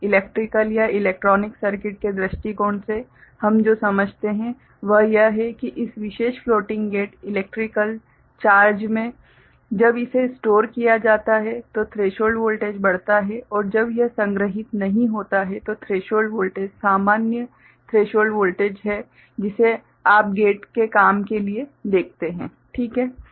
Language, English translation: Hindi, From electrical or electronics circuit point of view what we understand is that in this particular floating gate electrical charge when it is stored the threshold voltage increases and when it is not stored, threshold voltage is the normal threshold voltage that you see for the gate to work ok